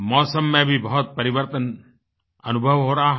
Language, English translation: Hindi, Quite a change is being felt in the weather